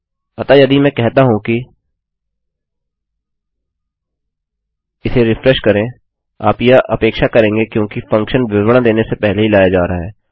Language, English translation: Hindi, So if I say, refresh this, youll expect this because the function is being called before its been declared